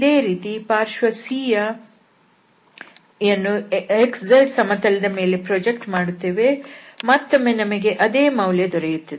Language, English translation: Kannada, Similarly, for the side C it will be projected on this xz plane, and then we can get again the same value